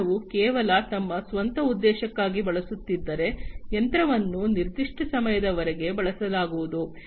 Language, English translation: Kannada, If the business was using just for their own purpose, then it is quite likely that the machine will be used for certain duration of time